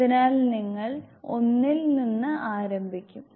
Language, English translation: Malayalam, So, you will start from one